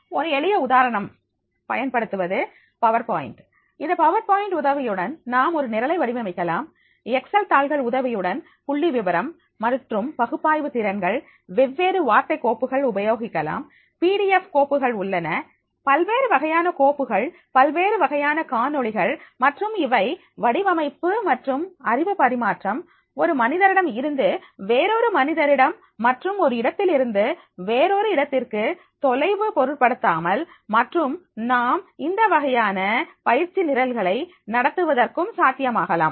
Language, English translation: Tamil, A simple example I am using here the PowerPoint and with the help of the power point also we can make the use of the designing the program, we can make the use of the Excel sheets, statistical analytical scales, we can make the use of these different word files also, PDF files, different types of the files, different types of the videos and this can be possible to design and transfer the knowledge from the one person to the another person and from the one place to the another place and irrespective of the distance and therefore in that case we can conduct the this type of the training programs